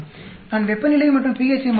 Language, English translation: Tamil, I am changing temperature and pH